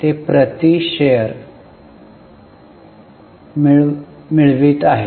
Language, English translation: Marathi, That is earning per share